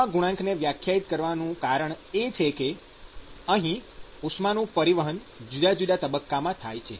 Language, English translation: Gujarati, And the reason for defining such a coefficient is that note that here is heat transport across different phases